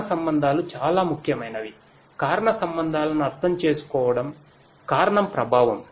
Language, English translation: Telugu, Causal relationships are very important; understanding the causal relationships, the cause effect